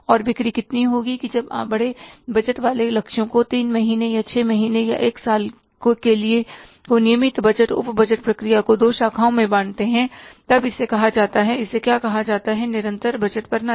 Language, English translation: Hindi, So, that when you bifurcate the bigger budgeted targets, say for three months or six months or one is two, the regular budgeting sub budgets process, then it is called as what it is called as, it is called as the continuous budgeting system